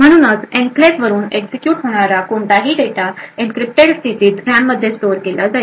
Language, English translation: Marathi, So, essentially any data which is to be executed from the enclave is going to be stored in the RAM in an encrypted state